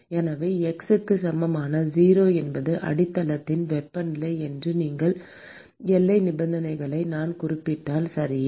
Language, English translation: Tamil, So, if I specify the boundary condition that x equal to 0 is the temperature of the base, okay